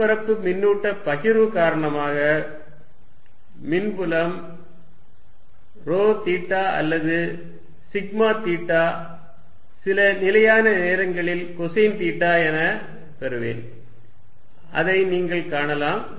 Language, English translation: Tamil, So, that the charge on the surface remains finite I will get the electric field due to a surface charge distribution rho theta or sigma theta which is some constant times cosine of theta and you will see that